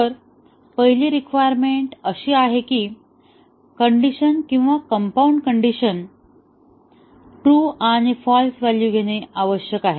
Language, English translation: Marathi, So, the first requirement is that the decision or the compound condition must take true and false value